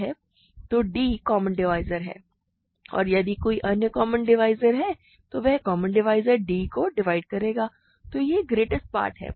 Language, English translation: Hindi, So, d is the common divisor and if there is some other common divisor then that common divisor divides d